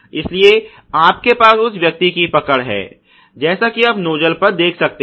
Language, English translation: Hindi, So, you have a grip of the person as you can see over the nuzzle ok